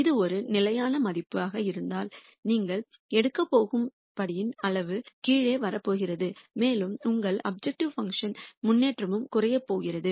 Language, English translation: Tamil, And if this is a constant value the size of the step you are going to take is going to come down and also the improvement in your objective function is going to come down